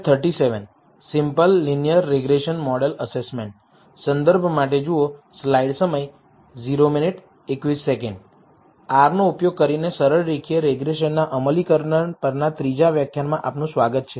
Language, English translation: Gujarati, Welcome to the third lecture on implementation of simple linear regression using R